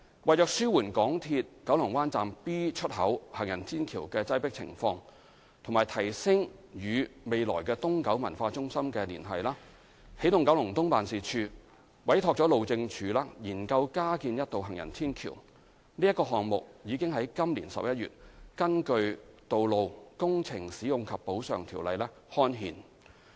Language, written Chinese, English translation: Cantonese, 為紓緩港鐵九龍灣站 B 出口行人天橋的擠迫情況和提升與未來東九文化中心的連繫，起動九龍東辦事處委託了路政署研究加建一道行人天橋，該項目已於今年11月根據《道路條例》刊憲。, To relieve the congestion at the existing footbridge near MTR Kowloon Bay Station Exit B and to enhance connectivity with the future East Kowloon Cultural Centre EKEO has engaged the Highways Department to study the provision of an additional footbridge . The project was gazetted under the Roads Ordinance in November this year